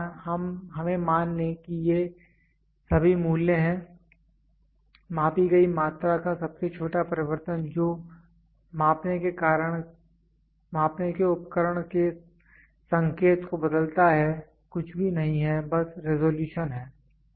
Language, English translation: Hindi, The let us assume these are all values; the smallest change of the measured quantity which changes the indication of a measuring equipment is nothing, but resolution